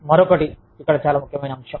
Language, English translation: Telugu, Another, very important factor here